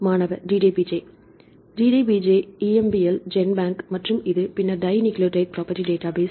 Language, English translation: Tamil, DDBJ DDBJ, EMBL, GenBank, and this, then dinucleotide property database